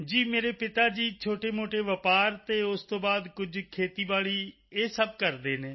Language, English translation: Punjabi, Yes my father runs a small business and after thateveryone does some farming